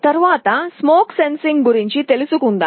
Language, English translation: Telugu, Next let us talk about smoke sensing